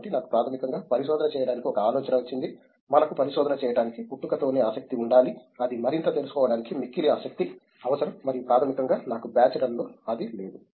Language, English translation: Telugu, So, because I basically had an idea that for doing research we must have that in born interest to do research, that need the hunger to learn more and I basically did not have that in many bachelors